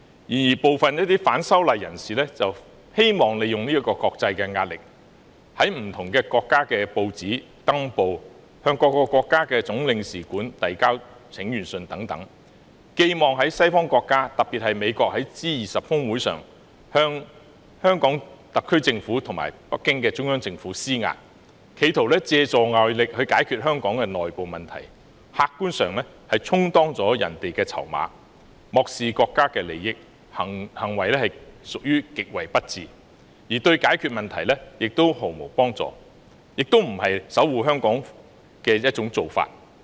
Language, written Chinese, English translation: Cantonese, 然而，部分反修例人士希望利用國際壓力，例如於不同國家的報章刊登廣告、向各國總領事館遞交請願信等，寄望西方國家，特別是美國在 G20 峰會上向香港特區政府及北京中央政府施壓，企圖借助外力解決香港的內部問題，客觀上是充當了別國的籌碼，漠視國家利益，行為實屬極為不智，對解決問題毫無幫助，亦非守護香港的做法。, For example they placed advertisements in the newspapers in different countries and presented letters of petition to the consulates - general of various countries hoping that at the G20 Osaka Summit the Western countries particularly the United States would bring pressure to bear on the Hong Kong SAR Government and the Central Government in Beijing . Attempting to use external force to resolve the internal problems of Hong Kong they have objectively speaking served as the bargaining chips of other countries neglecting the national interest . Such an act is indeed extremely unwise